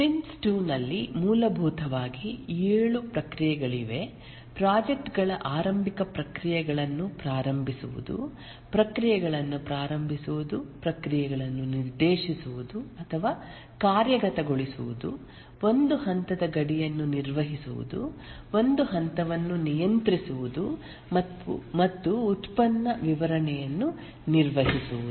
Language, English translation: Kannada, There are essentially seven processes in Prince II, the project starting processes, initiating processes, directing processes, managing a stage boundary, controlling a stage and managing product delivery